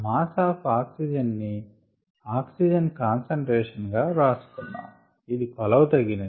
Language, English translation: Telugu, let us write it in terms of the concentration of oxygen, which is what is usually measured